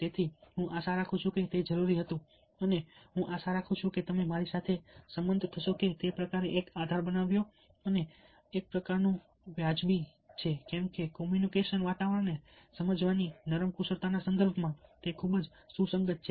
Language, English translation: Gujarati, so i hope that that was necessary, ah, and i hope that you agree with me that that kind of created a base and kind of justified why is it that, in the context of soft skills, communication, ah, understanding the communication environment, is so very relevant